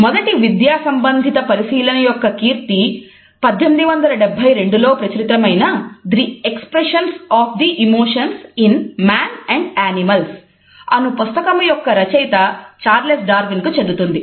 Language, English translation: Telugu, The earliest academic study can be credited to Charles Darwin, whose work The Expression of the Emotions in Man and Animals was published in 1872